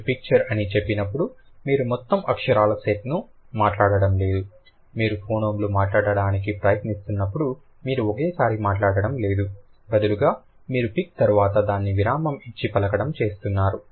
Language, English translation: Telugu, When you say picture, you are not speaking the entire set of letters when you are trying to speak that, the phoemines you are not speaking it at a go, like at one go, rather you are breaking it after pick